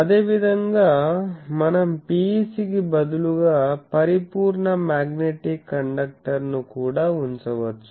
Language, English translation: Telugu, Similarly, we have a we can also put instead of PEC a perfect magnetic conductor